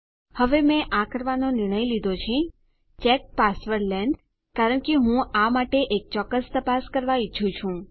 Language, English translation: Gujarati, Now I have decided to do this check password length because I want a specific check for this